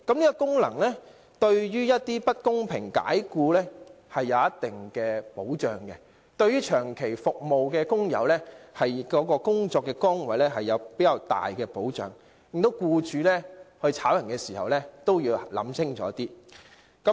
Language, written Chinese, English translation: Cantonese, 這個規定對於某些遭不公平解僱的工友來說有一定保障，對於長期為同一僱主服務的工友也有較大的保障，令僱主在解僱員工時也要考慮清楚。, This requirement provides certain protection to workers who are subject to unfair dismissal and offers greater protection to workers who have worked for the same employer for a long period of time while prompting employers to think clearly about dismissing their employees . Therefore their original intents are substantially different